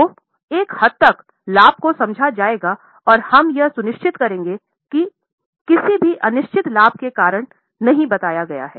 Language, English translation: Hindi, So, to an extent the profit will be understated and we will ensure that because of any uncertain gain the profit is not overstated